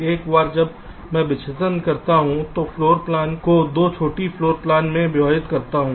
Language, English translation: Hindi, once i do a dissection, i divide the floor plan into two smaller floor plans